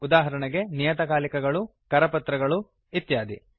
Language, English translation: Kannada, For example a periodical, a pamphlet and many more